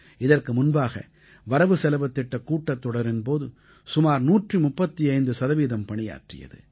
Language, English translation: Tamil, And prior to that in the budget session, it had a productivity of 135%